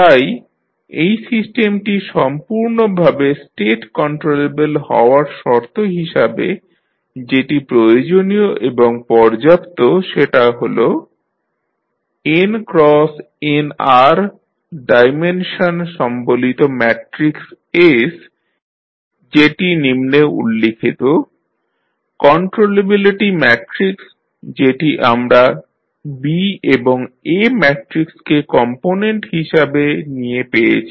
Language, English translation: Bengali, So, this system to be completely state controllable that is necessary and sufficient condition is that the following the matrix that is S which is having n cross nr dimension, the controllability matrix which we have augmented matrix containing B and A matrix as component